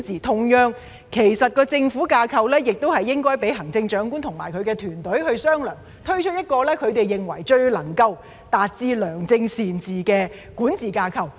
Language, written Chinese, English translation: Cantonese, 同樣地，政府架構亦應該讓行政長官與其團隊商量，推出一個他們認為最能夠達致良政善治的管治架構。, Likewise the government structure should allow the Chief Executive to discuss with his or her team to come up with a governance structure that they believe will best achieve good governance